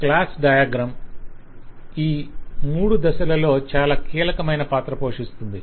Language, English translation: Telugu, So the class diagram, as we see, play a role in all these 3 phases, very critical